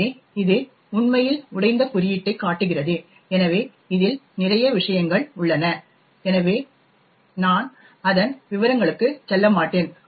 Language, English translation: Tamil, So, this actually shows the broken code, so there are a lot of things which are involved so I will not go into the details of it